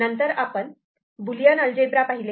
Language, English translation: Marathi, Then we looked into Boolean algebra